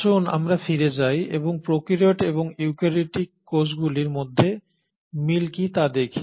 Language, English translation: Bengali, So let us go back and look at what are the similarity between prokaryotic and the eukaryotic cells